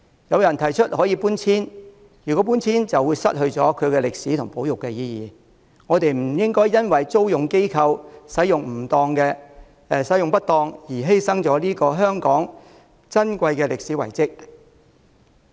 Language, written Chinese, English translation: Cantonese, 有人提出可以搬遷，但搬遷就失去了其歷史和保育意義，我們不應因為租用機構使用不當而犧牲了香港這個歷史遺蹟。, Some suggested relocation but that means losing its historical and conservation significance . We should not sacrifice this historical site of Hong Kong simply because of improper use by the leasing organization